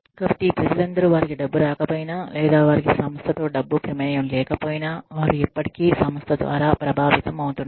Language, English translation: Telugu, So, all of these people, even though they are not getting money, or they are not, they do not have a money involvement in the organization, they still are getting affected by the organization